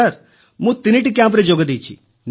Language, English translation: Odia, Sir, I have done 3 camps